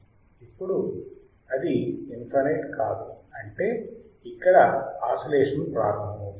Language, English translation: Telugu, Now, it cannot be infinite; that means, it will start oscillating